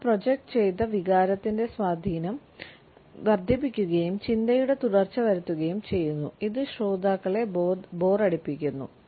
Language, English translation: Malayalam, They also increase the impact of the projected feeling and bring the continuity of thought making the listeners bored